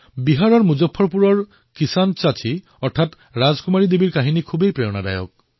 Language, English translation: Assamese, 'Farmer Aunty' of Muzaffarpur in Bihar, or Rajkumari Devi is very inspiring